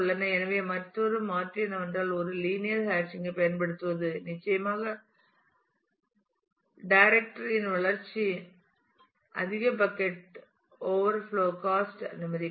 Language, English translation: Tamil, So, another alternate is to use a linear hashing allows incremental growth of his directory at the cost of more bucket overflows of course,